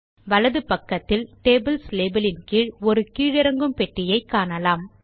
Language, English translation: Tamil, On the right side, we will see a drop down box underneath the label Tables